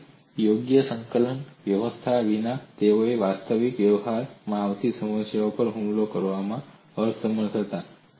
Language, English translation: Gujarati, So without suitable coordinate system, they were unable to attach problems that come across in actual practice